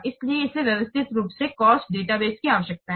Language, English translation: Hindi, So it needs systematically maintained cost database